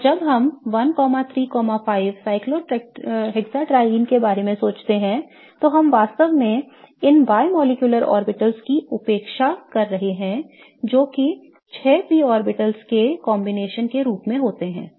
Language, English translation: Hindi, And when we think of 135 cyclohexatrine, we are really neglecting these pi molecular orbitals that are resulting as a combination of the 6 p orbitals